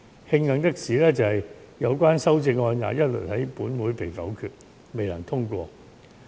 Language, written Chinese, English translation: Cantonese, 慶幸的是，有關修正案一律在本會被否決，未獲通過。, Luckily the amendment concerned was negatived by this Council